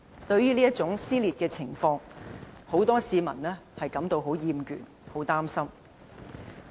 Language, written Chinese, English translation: Cantonese, 對於這種撕裂的情況，不少市民已感到厭倦和擔心。, Many people are tired of these divisions with grave concern